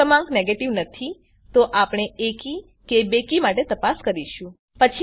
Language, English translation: Gujarati, if the number is not a negative, we check for even and odd